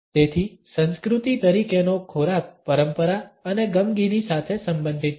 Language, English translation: Gujarati, So, food as culture is related to tradition and nostalgia